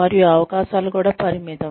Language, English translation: Telugu, And, the opportunities were also limited